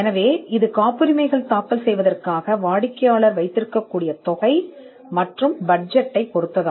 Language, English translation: Tamil, So, that is something which will depend on the amount or the budget the client has for filing patents